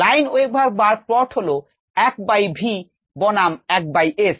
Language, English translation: Bengali, ah, lineweaver burk plot is one by v versus one by s